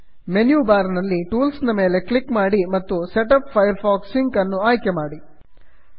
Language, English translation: Kannada, From the menu bar click tools and setup firefox sync, Click , I have a firefox sync account